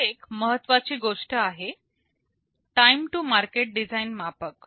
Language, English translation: Marathi, There is an important thing here, time to market design metric